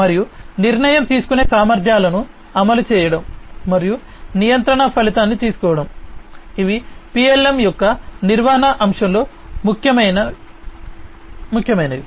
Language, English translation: Telugu, And enforcing the capabilities of decision making, and taking result of the control, these are the different important considerations, in the management aspect of PLM